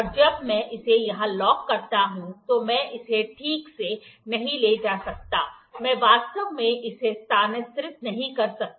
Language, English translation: Hindi, And when I lock it here, I cannot move it properly, I cannot actually move it